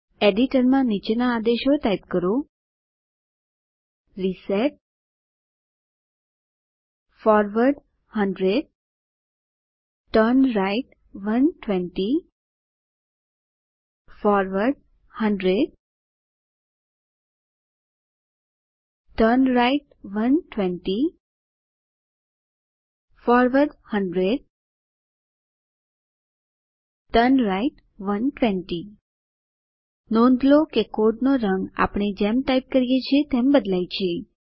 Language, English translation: Gujarati, In your editor, type the following commands: reset forward 100 turnright 120 forward 100 turnright 120 forward 100 turnright 120 Note that the color of the code changes as we type